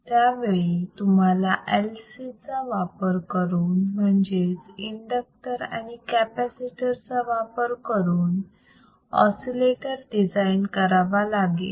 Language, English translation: Marathi, You have to design oscillator using LC using LC, an inductor and a capacitor